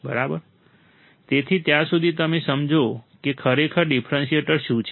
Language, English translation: Gujarati, So, till then you understand what exactly is a differentiator